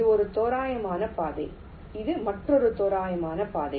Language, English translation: Tamil, this is another approximate route like this